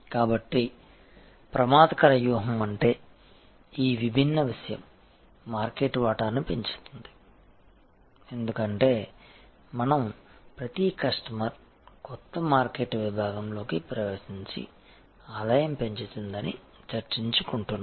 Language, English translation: Telugu, So, offensive strategy will mean this different things grow market share as we were discussing grow revenue per customer enter new market segment expand the market demand all of these